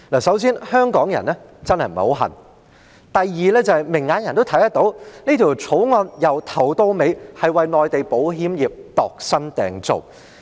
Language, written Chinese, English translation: Cantonese, 首先，香港人真的並不十分稀罕；第二，明眼人都看得到，這項《條例草案》從頭到尾都是為內地保險業度身訂造。, Firstly Hong Kong people do not really care . Secondly anyone with discerning eyes can see that this Bill is tailor - made for the Mainland insurance industry from the very beginning